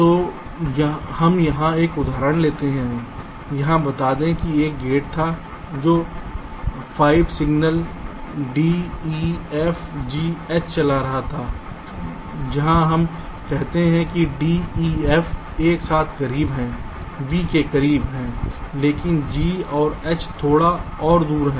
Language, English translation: Hindi, lets say, here there was a gate which was driving five signals: d, f, g, h where, lets say, d, e, f are closed together, close to v, but g and n is little further away